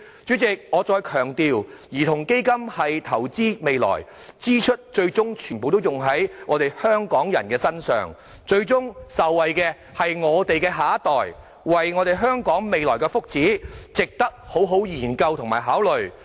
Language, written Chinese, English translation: Cantonese, 主席，我再強調，兒童基金是投資未來，支出最終全部用在香港人身上，最終受惠的是我們的下一代，為了香港未來的福祉，值得好好研究和考慮。, President let me reiterate that a child fund is an investment in the future . All the money spent on it will eventually be ploughed back into Hong Kong people ultimately benefiting our next generation . For the future well - being of Hong Kong it is worth careful study and consideration